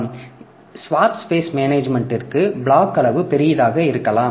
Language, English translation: Tamil, So, but for the swap space management what happens is that the block size may be larger